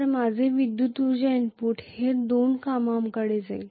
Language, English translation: Marathi, So my electrical energy input it is going towards two tasks